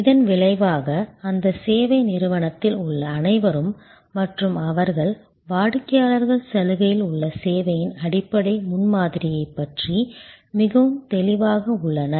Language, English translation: Tamil, As a result, everybody within that service organization and they are, customers are very clear about the basic premise of the service on offer